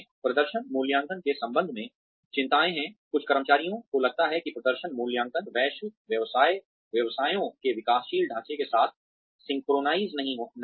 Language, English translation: Hindi, Some concerns, regarding performance appraisals are that, some employees feel that, performance appraisals are not synchronized, with the developing structure of global businesses